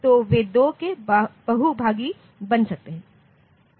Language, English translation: Hindi, So, they are they should be some multiple of 2